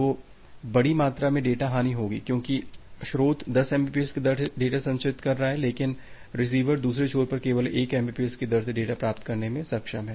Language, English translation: Hindi, So, there will be a huge amount of data loss because source is transmitting data at a rate of 10 mbps, but the receiver the other end, receiver is only able to receive data at a rate of 1 mbps